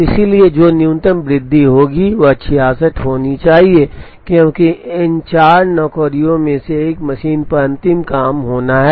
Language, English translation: Hindi, So, the minimum increase that will happen has to be 66, because one of these four jobs has to be the last job on the machine